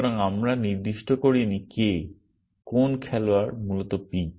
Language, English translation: Bengali, So, we have not specified who, some player p essentially